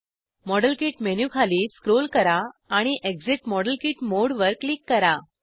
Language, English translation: Marathi, Scroll down the model kit menu and click exit model kit mode